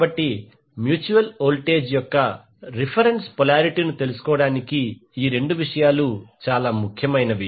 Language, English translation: Telugu, So this two things are important to find out the reference polarity of the mutual voltage